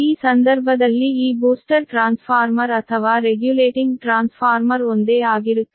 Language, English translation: Kannada, in this case this booster transformer or regulating transformer are these